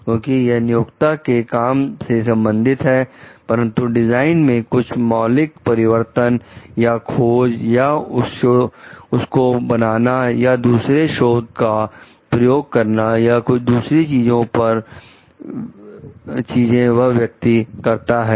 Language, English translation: Hindi, So, because it is related to the employers work, but if it is some fundamental changes in the design the person is making some fundamental changes in the or inventions or its making or using other records and other things